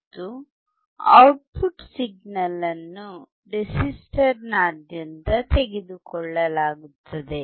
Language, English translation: Kannada, And the output signal is taken across the resistor